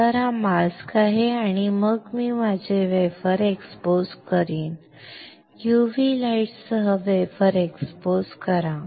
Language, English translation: Marathi, So, this is a mask and then I will expose my wafer; expose the wafer with UV light